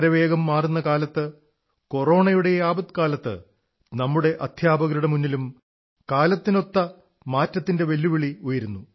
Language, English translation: Malayalam, The fast changing times coupled with the Corona crisis are posing new challenges for our teachers